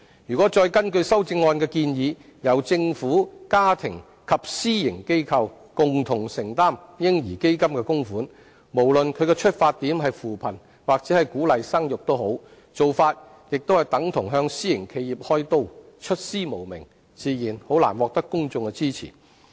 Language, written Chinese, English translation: Cantonese, 如果再根據修正案的建議，由政府、家庭及私營企業共同承擔"嬰兒基金"的供款，無論基金的出發點是扶貧還是鼓勵生育，做法亦等同向私營企業"開刀"，出師無名，自然難以獲得公眾支持。, If we go further to require the Government families and private enterprises to collectively make contributions to the baby fund as proposed by the amendment no matter whether the fund seeks to alleviate poverty or boost the fertility rate such an approach is tantamount to victimizing private enterprises . In the absence of valid grounds it is naturally difficult to garner public support